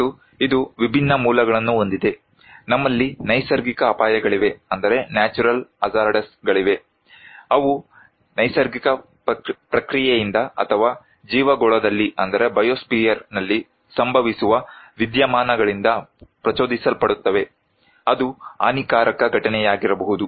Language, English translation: Kannada, And it has different origins like, we have natural hazards which are trigered from natural process or phenomena occurring in the biosphere that may constitute damaging event